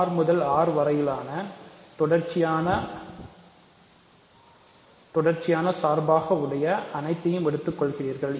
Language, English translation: Tamil, So, continuous functions from R to R, you take all such things